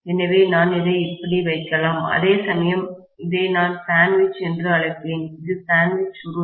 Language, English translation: Tamil, So, I can put them like this, whereas, so I would call this as sandwiched, this is sandwiched coil